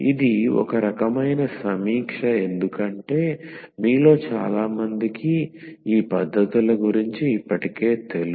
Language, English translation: Telugu, So, it was kind of review because many of you are already aware with all these techniques